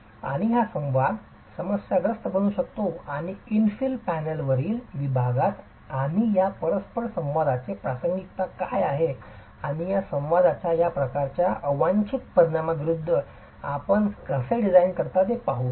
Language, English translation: Marathi, And this interaction can become problematic and in the section on infill panel we will look at what is the relevance of this interaction and how do you design against the undesirable effects of this sort of an interaction